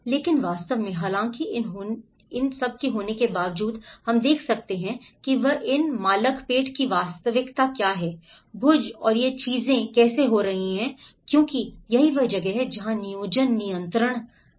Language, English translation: Hindi, But in reality, though despite of having these what we can see is the reality of these Malakpet Bhuj and how these things are happening because this is where the planning control